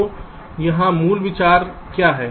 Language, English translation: Hindi, so what is the basic idea